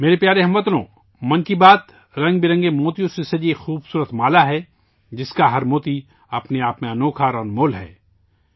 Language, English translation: Urdu, My dear countrymen, 'Mann Ki Baat' is a beautiful garland adorned with colourful pearls… each pearl unique and priceless in itself